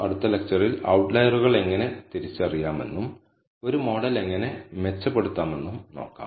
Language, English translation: Malayalam, In the next lecture we will look at how to identify outliers and how to improvise a model